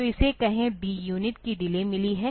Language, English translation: Hindi, So, it has got a delay of D unit